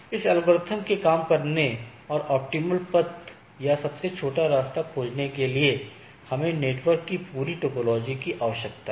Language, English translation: Hindi, Now, once for this algorithm to work and find out the that optimal path or the shortest path, we need to have the whole instance of the network